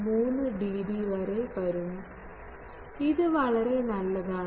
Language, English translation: Malayalam, 3 dB which is quite good